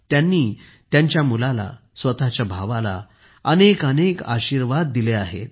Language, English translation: Marathi, They have given many blessings to their son, their brother